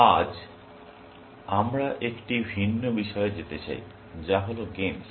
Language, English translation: Bengali, Today, we want to move on to a different topic, which is, games